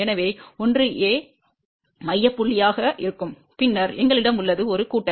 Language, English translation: Tamil, So, 1 will be the center point and then we have a plus